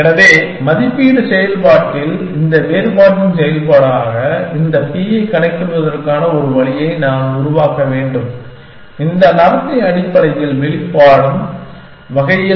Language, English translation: Tamil, So, somehow I have to devise a way of computing this p as the function of this difference in the evaluation function, in such a way that this behavior is manifested